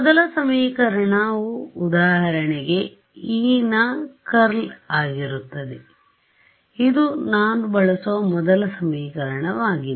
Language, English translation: Kannada, So, the first equation will be for example, curl of E, this is the first equation that I use